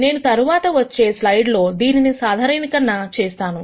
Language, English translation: Telugu, I am going to generalize this in the coming slides